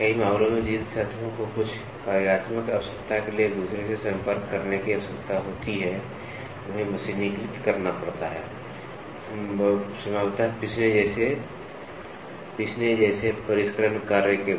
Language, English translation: Hindi, In many cases, the surfaces that need to contact each other, some functional requirement has to be machined, possibly followed by a finishing operation like grinding